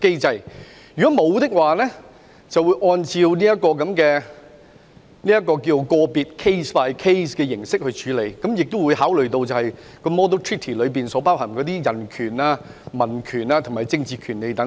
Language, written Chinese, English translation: Cantonese, 對於沒有與香港簽署恆常協定的地方，便會按照個案形式處理，亦會考慮《引渡示範條約》所包含的人權、公民權利和政治權利等。, For jurisdictions that had not entered into permanent agreements with Hong Kong a case - by - case approach would be adopted and considerations would also be given to human rights civil and political rights etc . covered by the Model Treaty on Extradition